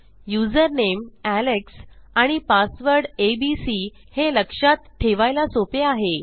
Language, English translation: Marathi, Okay so user name is Alex and password is abc easy to remember